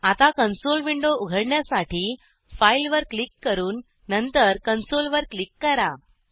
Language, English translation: Marathi, Now open the console window by clicking on File and then on Console